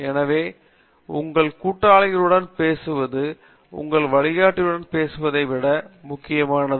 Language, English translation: Tamil, So why I have mentioning here is that you talking to your peers is much more important than talking to your guide